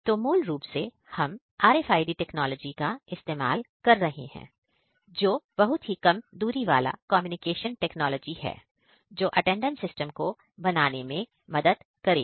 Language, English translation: Hindi, So, basically we are using RFID technology that is very short range communication technology and then building attendance system out of it